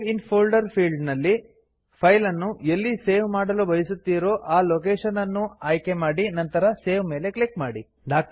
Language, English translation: Kannada, In the Save in folder field, choose the location where you want to save the file and click on Save